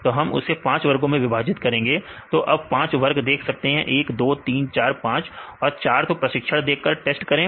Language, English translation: Hindi, So, we divide into five groups; so you can see into five groups, 1, 2, 3, 4, 5 and train 4 and test